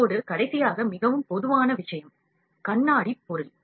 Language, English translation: Tamil, Now, the last one is very common thing, mirror object; this is mirror object